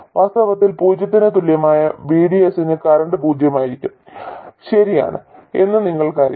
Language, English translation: Malayalam, In fact you know that for VDS equal to 0 the current will be 0